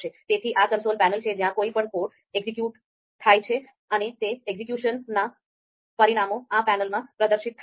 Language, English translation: Gujarati, So this is the console panel where the any code any line is executed and the results of that execution is displayed in this panel